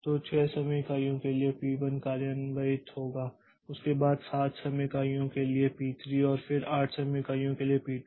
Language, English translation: Hindi, So, P1 executes for 6 time units followed by P3 for 7 time units and then P2 for 8 time units